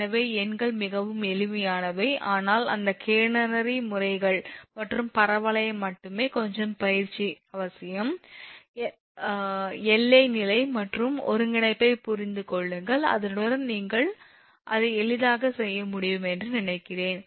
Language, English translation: Tamil, So, numerical are very simple, but only those catenary methods and parabolic one, little bit practice is necessary, a little bit understanding particularly the boundary condition and little bit of integration, with that I think you can easily do it with that